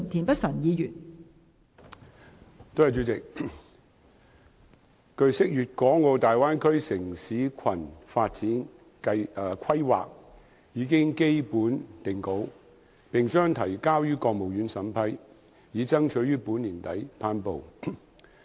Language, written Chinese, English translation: Cantonese, 代理主席，據悉，《粵港澳大灣區城市群發展規劃》已基本定稿，並將提交予國務院審批，以爭取於本年底頒布。, Deputy President it is learnt that the Development Plan for a City Cluster in the Guangdong - Hong Kong - Macao Bay Area has basically been finalized and will be submitted to the State Council for vetting and approval with a view to its promulgation by the end of this year